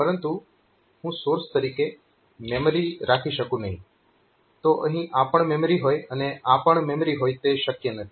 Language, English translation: Gujarati, But I cannot have that source as a memory, so this is also memory and this is also memory, so that is not possible